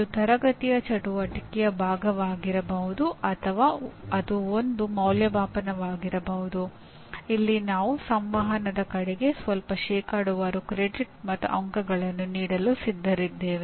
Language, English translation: Kannada, It could be part of the classroom activity or it could be an assessment where I am willing to give some credit and some marks towards communication whatever percentage it is